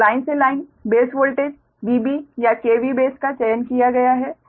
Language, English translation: Hindi, and this is also v line to line voltage by k v base